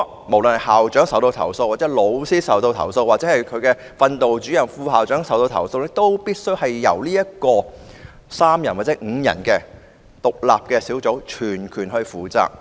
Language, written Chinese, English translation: Cantonese, 無論是校長或老師受到投訴，或是訓導主任或副校長受到投訴，都必須由3人或5人組成的獨立投訴小組全權負責。, Whether the complaint concerns the school principal a teacher the discipline mastermistress or the vice principal it will be handled solely by the independent complaint - handling panel consisting of three or five members